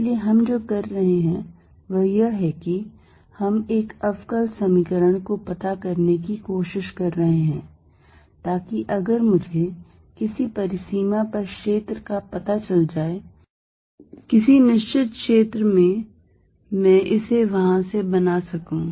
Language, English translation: Hindi, So, what we are doing is we are trying to find a differential equation, so that if I know field on a certain boundary, in a certain region I can build it up from there